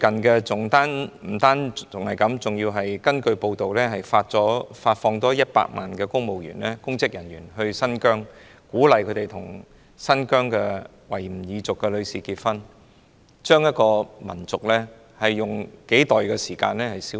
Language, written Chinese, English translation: Cantonese, 不單如此，內地據報調派了100萬名公職人員到新疆，並鼓勵他們與新疆維吾爾族的女士結婚，試圖將一個民族以數代時間消滅。, Not only this the Mainland has purportedly deployed 1 million public officers to Xinjiang and encouraged them to marry Uygur women there in an attempt to eliminate the entire race within the time frame of a few generations